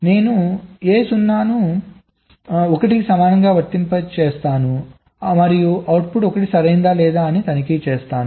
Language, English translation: Telugu, i apply a zero equal to one and check whether the output is one or not